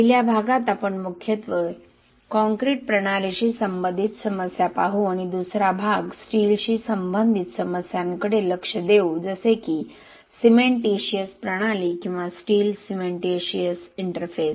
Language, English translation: Marathi, First part we will look mainly on the issues associated with the concrete systems and the 2nd part will look at the issues associated with the steel cementitious system or the steel cementitious interface